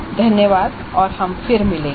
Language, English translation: Hindi, Thank you and we will meet again